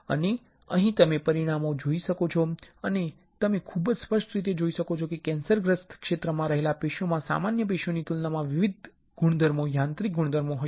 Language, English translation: Gujarati, And, here you can see the results, you can very clearly see that the tissue that lies in the cancerous region would be having different properties mechanical properties compared to normal tissues